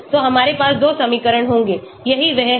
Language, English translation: Hindi, So we will have 2 equations, that is what this is